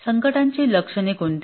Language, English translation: Marathi, What are the symptoms of the crisis